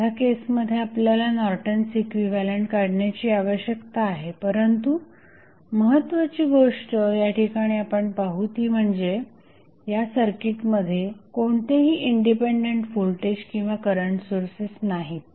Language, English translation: Marathi, In this case, we need to find out the Norton's equivalent, but the important thing which we see here that this circuit does not have any independent voltage or current source